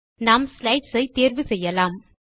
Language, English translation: Tamil, We will choose the Slides option